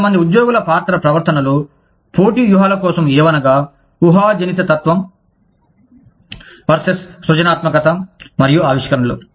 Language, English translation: Telugu, Some employee role behaviors, for competitive strategies are, predictability versus creativity and innovation